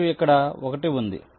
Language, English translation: Telugu, this is one, this is two